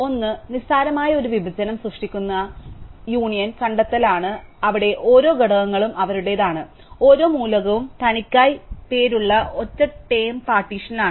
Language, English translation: Malayalam, One is the make union find which creates a trivial partition, where each elements belongs to it is own, each element is in a singleton partition named by itself